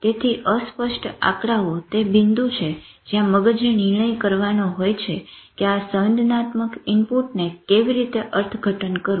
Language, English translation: Gujarati, So ambiguous figures are a point in which brain has to take a decision about how to interpret sensory input